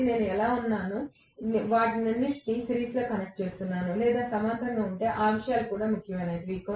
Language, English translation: Telugu, So, depending upon how I am, if I am connecting all of them in series or parallel those things also matter